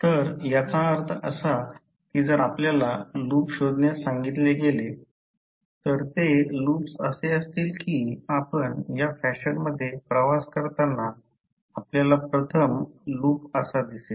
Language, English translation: Marathi, So that means if you are asked to find out the loops, loops will be, first loop you will see as you travel in this fashion